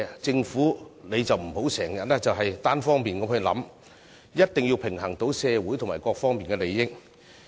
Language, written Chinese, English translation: Cantonese, 政府不要經常作單方面考慮，必須平衡社會各方面的利益。, The Government must balance the interests of various sectors in society rather than considering the matter unilaterally all the time